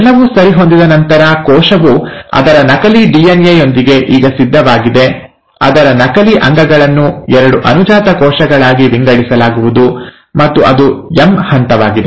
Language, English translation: Kannada, Once that is all proper, the cell is now ready with its duplicated DNA, its duplicated organelles to be divided into two daughter cells, and that is the M phase